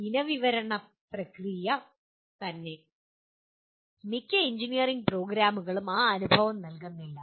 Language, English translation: Malayalam, The process of specification itself, most of the engineering programs do not give that experience